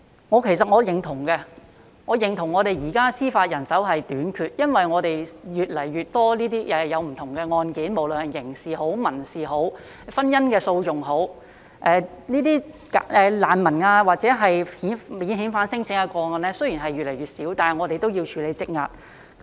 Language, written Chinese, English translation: Cantonese, 我其實認同我們現時司法人手短缺，因為我們有越來越多不同的案件，無論是刑事、民事或婚姻訴訟，雖然這些難民或免遣返聲請的個案越來越少，但我們也要處理積壓的案件。, Actually I agree that at present the Judiciary is facing a problem of manpower shortage as it has to deal with more and more cases no matter they are criminal civil or marital litigations . Even though there are fewer and fewer cases concerning refugees or non - refoulement claims they still have to deal with the backlogs